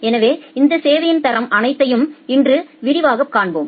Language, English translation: Tamil, So, today we will see all these quality of service in details